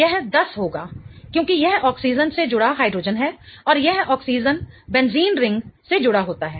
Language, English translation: Hindi, It will be 10 because it is a hydrogen attached to an oxygen and that oxygen is attached to a benzene ring